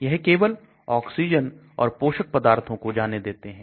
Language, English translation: Hindi, It allows only oxygen, nutrients to pass through